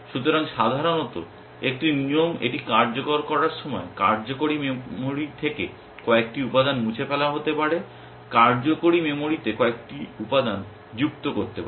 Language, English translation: Bengali, So, typically a rule when it executes it will delete may be a couple of element from the working memory, at may add a couple of elements to the working memory